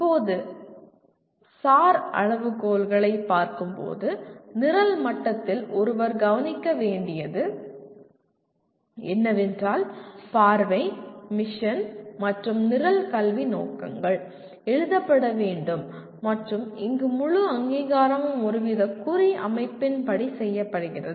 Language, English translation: Tamil, Now coming to SAR criteria, at the program level what one has to look at is Vision, Mission and Program Educational Objectives have to be written and here the whole accreditation is done as per some kind of a marking system